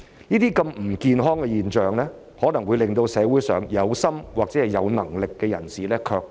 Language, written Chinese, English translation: Cantonese, 這些不健康的現象可能會令社會上有心或有能力的人士卻步。, Such unhealthy phenomena may discourage aspiring or competent people in society